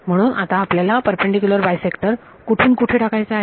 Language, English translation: Marathi, So, now, you want to put a perpendicular bisector from